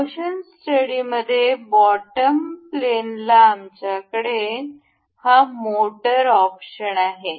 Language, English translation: Marathi, The in motion study, in the you know bottom pane, we have this motor option